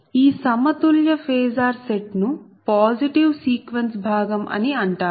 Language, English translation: Telugu, this set of balanced phasor is called positive sequence component